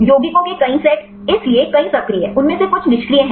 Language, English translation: Hindi, Several set of compounds; so, several actives, some of them are inactives